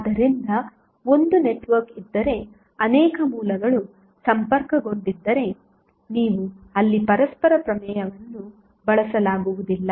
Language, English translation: Kannada, So, if there is a network were multiple sources are connected you cannot utilize the reciprocity theorem over there